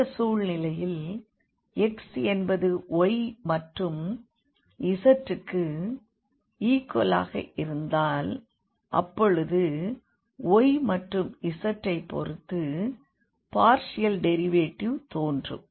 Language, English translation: Tamil, So, in this case for x is equal to the function of y and z then the partial derivatives with respect to y and z will appear